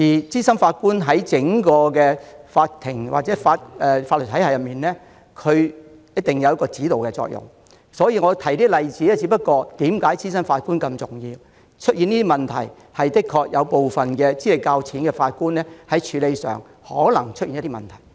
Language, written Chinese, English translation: Cantonese, 資深法官在整個法庭或法律體系中有指導作用，我提及這些例子是要說明資深法官的重要性，因為有部分資歷較淺的法官處理案件時可能出現問題。, Senior judges have a guiding role in the entire court or legal system . I have given these examples to illustrate the importance of senior judges because there may be problems when cases are heard by some judges with less experience